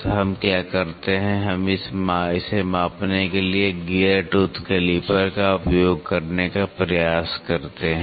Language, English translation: Hindi, So, what we do is we try to use a gear tooth calliper to measure it